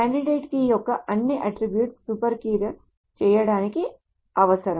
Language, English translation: Telugu, So a candidate key, so all the attributes of that candidate key is required to make it a super key